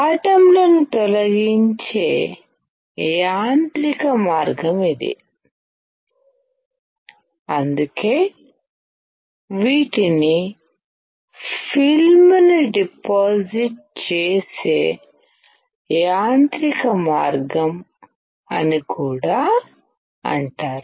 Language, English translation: Telugu, This is the mechanical way of dislodging the atoms and that is why, these are also called a mechanical way of depositing the film